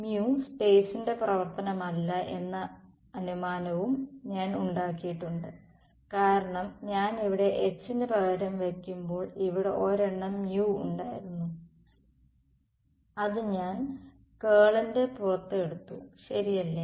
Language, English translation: Malayalam, I have also made the assumption that mu is not a function of space, because when I substituted for H over here there was a one by mu over here which I took outside the curl right